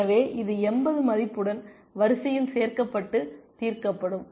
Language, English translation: Tamil, So, this gets added to the queue with the value of 80 and solved